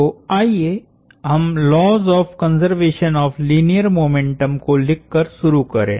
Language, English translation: Hindi, So, let us start by writing the laws of conservation of linear momentum